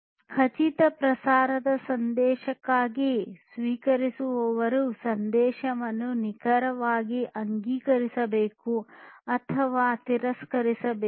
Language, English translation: Kannada, For confirmable type message, the recipient must exactly explicitly either acknowledge or reject the message